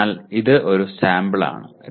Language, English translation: Malayalam, So this is one sample